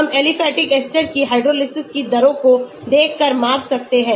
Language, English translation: Hindi, we can measure by looking at the rates of hydrolysis of aliphatic esters